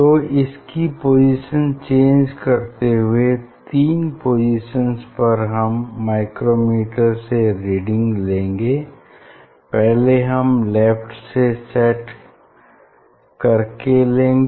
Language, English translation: Hindi, this changing this three position, for each one you take the reading from the micrometer ok, setting this fringe one from the left